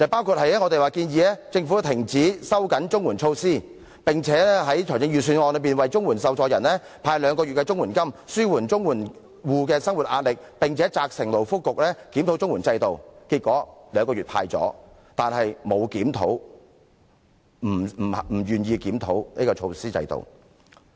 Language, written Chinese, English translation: Cantonese, 第一，我們建議政府停止收緊綜合社會保障援助措施，以及在預算案中為綜援受助人派發兩個月的綜援金，紓緩綜援戶的生活壓力，並責成勞工及福利局檢討綜援制度；結果，政府派發兩個月的綜援金，但不願意檢討制度。, First we proposed that the Government stop tightening the Comprehensive Social Security Assistance CSSA measures and dole out two extra months CSSA payment to CSSA recipients so as to alleviate their pressure in life . The Labour and Welfare Bureau should also be tasked with reviewing the CSSA system . In the end the Government would dole out two extra months CSSA payment but it was unwilling to review the system